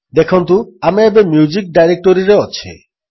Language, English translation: Odia, See, we are in the music directory now